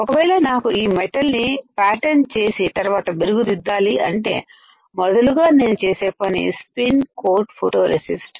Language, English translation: Telugu, If I want to pattern this metal then first thing I will do I will spin coat photoresist